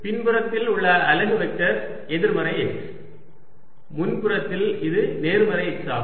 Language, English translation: Tamil, the unit vector on the backside is negative x, on the front side its positive x